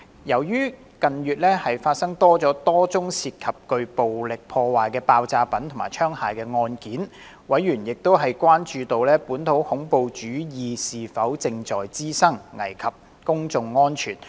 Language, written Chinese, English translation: Cantonese, 由於近月發生多宗涉及具破壞力的爆炸品及槍械案件，委員亦關注到本土恐怖主義是否正在滋生，危及公眾安全。, Given that there had been cases involving explosives and firearms with destructive power in recent months members were also concerned that whether such cases showed signs of the breeding of local terrorism which would threaten public safety